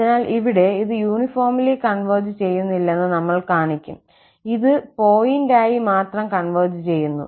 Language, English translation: Malayalam, So, here, we will show that this does not converge uniformly, it converge only pointwise